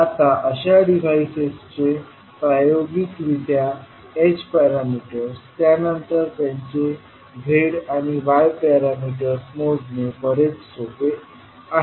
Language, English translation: Marathi, Now, it is much easier to measure experimentally the h parameters of such devices, then to measure their z and y parameters